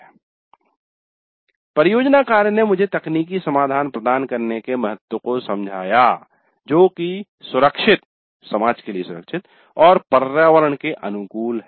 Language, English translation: Hindi, Project work made me understand the importance of providing technical solutions that are safe, safe for the society and environment friendly